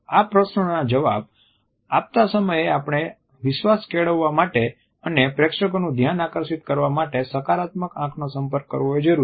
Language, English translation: Gujarati, While answering these questions it is important to have a positive eye contact to build trust and engage the attention of the audience